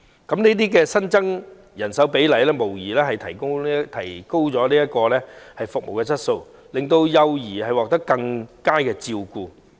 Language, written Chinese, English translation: Cantonese, 這些新增人手無疑能提高服務質素，令幼兒獲得更佳照顧。, Such additional manpower can undoubtedly raise service quality so that children will be better taken care of